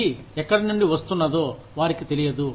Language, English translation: Telugu, They do not know, where it is coming from